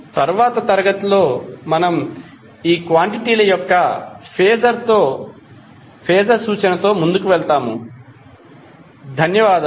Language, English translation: Telugu, In next class we will carry forward with the phasor representation of these quantities, Thank you